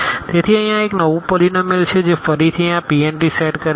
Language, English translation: Gujarati, So, here this is a new polynomial which belongs to again this set this P n t